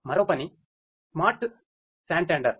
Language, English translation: Telugu, Another work is the SmartSantander